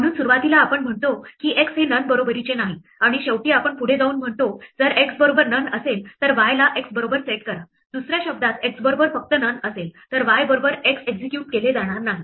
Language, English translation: Marathi, So, initially we say x is equal to none and finally we go ahead and say, if x is not none then set y equal to x, Another words y equal to x is will not be executed if x is still none